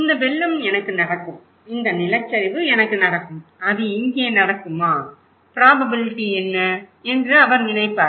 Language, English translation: Tamil, He would think, Oh this flood will happen to me, this landslide will happen to me, will it happen here, what is the probability